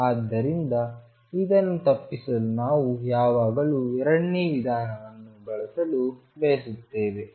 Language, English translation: Kannada, To avoid this we always prefer to use the second method